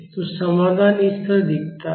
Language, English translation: Hindi, So, the solution looks like this